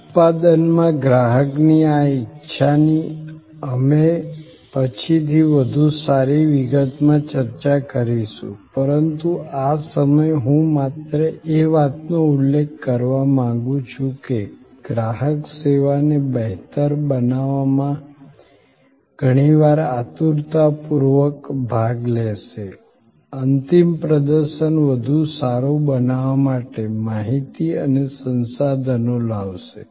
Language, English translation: Gujarati, This customer involvement in production we will discuss it in much better detail later on, but at this point I would only like to mention in passing that the customer often will eagerly participate in bettering the service, he or she will bring information and resources to make the final performance better